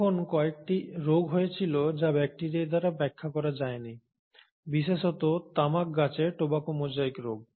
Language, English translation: Bengali, But then there were a few diseases which could not be explained by bacteria, especially the tobacco mosaic disease in tobacco plants